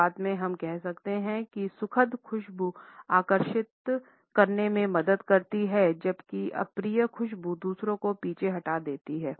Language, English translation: Hindi, At the outset we can say that pleasant smells serve to attract whereas, unpleasant ones repel others